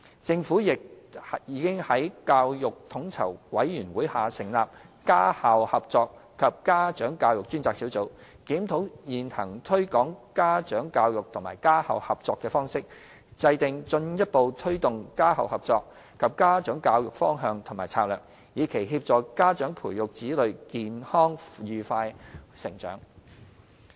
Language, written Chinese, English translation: Cantonese, 政府亦已在教育統籌委員會下成立家校合作及家長教育專責小組，檢討現行推廣家長教育及家校合作的方式，制訂進一步推動家校合作及家長教育的方向及策略，以期協助家長培育子女健康愉快地成長。, The Government has also set up a Task Force on Home - school Co - operation and Parent Education under the Education Commission to review the existing approach in promoting parent education and home - school cooperation and formulate the direction and strategy for further promoting parent education and home - school cooperation with the objective of assisting parents to help their children grow up happily and healthily